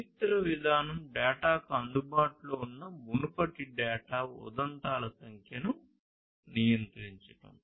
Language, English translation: Telugu, History policy is about controlling the number of previous data instances available to the data